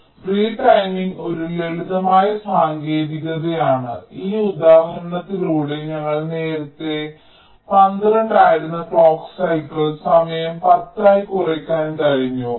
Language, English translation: Malayalam, so v timing is a simple technique, as we have illustrated through this example, where the clock cycle time, which was earlier twelve, we have been able to bring it down to ten